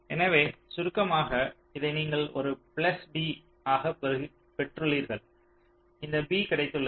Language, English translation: Tamil, ok, so to summarize, you have got this as a plus b, you have got this b